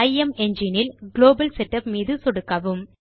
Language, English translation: Tamil, Under IMEngine, click on Global Setup